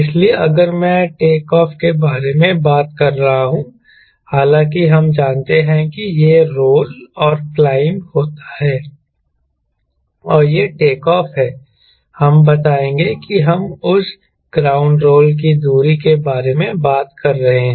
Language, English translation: Hindi, so if i am talking about, lets say, loosely takeoff distance, all though we know it rolls and climbs, and this is the takeoff lets say we are talking about this much ground roll, ground roll distance